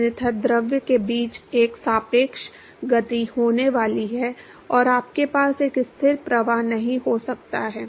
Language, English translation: Hindi, Otherwise there is going to be a relative motion between the fluid and you cannot have a steady flow